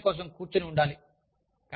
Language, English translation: Telugu, And, you have to sit, for an exam